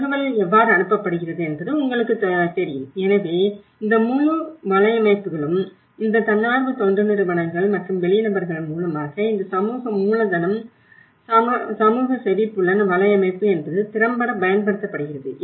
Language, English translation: Tamil, And how the information is passed on, reading you know, so this whole networks how these NGOs and outsiders you know how, this social capital is social network of hearing is effectively used